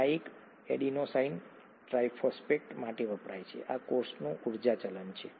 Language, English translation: Gujarati, This, this stands for adenosine triphosphate, this happens to be the energy currency of the cell